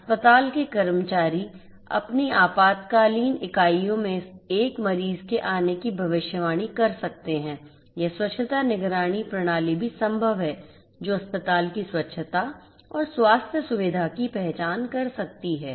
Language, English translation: Hindi, Hospital staff can predict the arrival of a patient in their emergency units; it is also possible to have hygiene monitoring system which can detect the cleanliness of the hospital and the healthcare facility